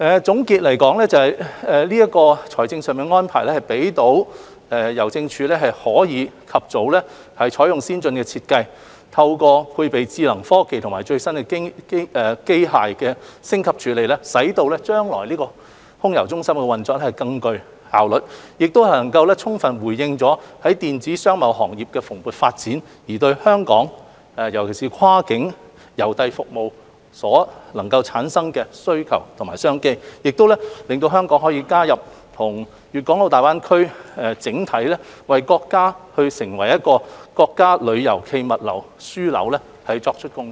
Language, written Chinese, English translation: Cantonese, 總括而言，這個財政上的安排可讓郵政署及早開展重建計劃，透過採用先進的設計，配備智能科技和最新的機械升級處理能力，使空郵中心將來的運作更具效率，並充分回應電子商貿行業的蓬勃發展對香港跨境郵遞服務所能夠產生的需求和商機，亦令香港能為建設粵港澳大灣區成為國家郵遞暨物流樞紐作出貢獻。, In conclusion such financial arrangement will facilitate Hongkong Posts early use of advanced design . With expanded processing capacity equipped with intelligent technologies and up - to - date machineries the future AMC will operate with enhanced efficiency in response to the demand and business opportunities generated by the booming e - commerce industry for cross - border and cross - boundary postal services . It will also facilitate Hong Kongs integration into the Guangdong - Hong Kong - Macao Greater Bay Area thereby contributing to the development of the Greater Bay Area into a tourism and logistics hub of the country